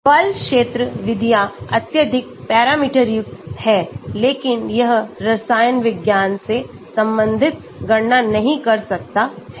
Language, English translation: Hindi, the force field methods are highly parameterised but it cannot do the chemistry related calculations